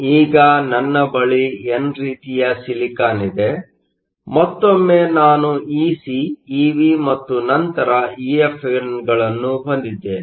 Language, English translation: Kannada, Now, I have n type silicon; once again I have Ec , Ev and then EFn